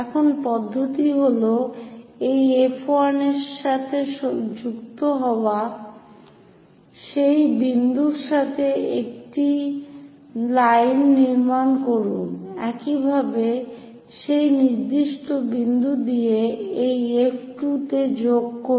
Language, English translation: Bengali, Now, the procedure is join this F 1 with that point it is a construction line; similarly, construct join this F 2 with that particular point